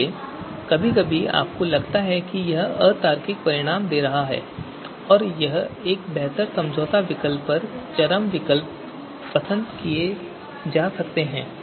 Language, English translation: Hindi, So sometimes you would feel that it is giving illogical results and extreme you know alternatives they are getting preferred over a superior you know compromise alternative